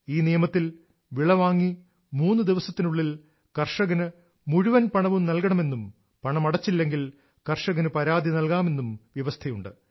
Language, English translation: Malayalam, Under this law, it was decided that all dues of the farmers should be cleared within three days of procurement, failing which, the farmer can lodge a complaint